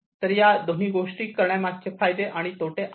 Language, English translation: Marathi, So, there are advantages and disadvantages of doing both